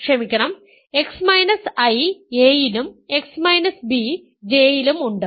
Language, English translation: Malayalam, So, x is in I and x is in J